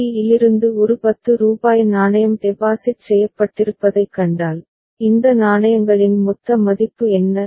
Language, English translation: Tamil, From c if you find a rupees 10 coin has been deposited so, what is the total worth of what has been these coins